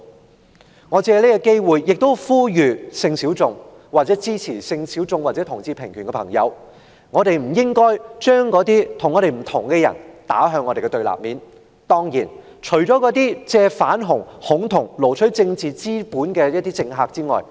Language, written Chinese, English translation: Cantonese, 我也想藉此機會呼籲性小眾或支持性小眾或同志平權的朋友不必將那些持不同意見的人士置於我們的對立面，當然，那些借"反同"和"恐同"來撈取政治資本的政客除外。, And also I would like to take this opportunity to make an appeal to the sexual minorities or their supporters as well as those who support equal rights movements for people of different sexual orientations Do not treat people holding different views as our enemies since it is not necessary to do so except for those who use anti - homosexuality and homophobia to their advantage of fishing for political capital